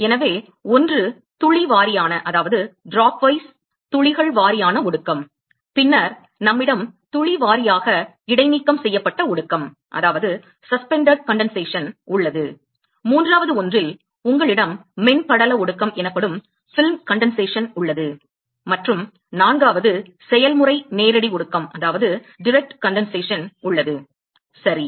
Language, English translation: Tamil, So, one is the drop wise drop wise condensation and then, we have drop wise suspended condensation and then in the third one is you have film condensation and the fourth process is direct condensation, ok